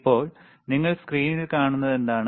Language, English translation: Malayalam, Now, what you see on the screen